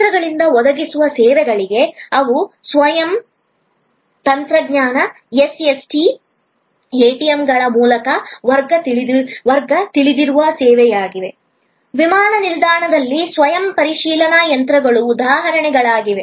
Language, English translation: Kannada, There are services which are provided by machines, they are as a class known service through Self Service Technology, SST, ATMs, self checking machines at the airport are examples